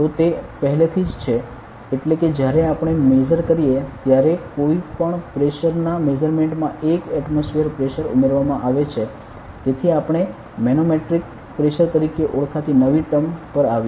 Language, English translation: Gujarati, So, we like; so it is already like 1 atmosphere is added to any pressure measure when we do; so we came up with a new term called as a manometric pressure ok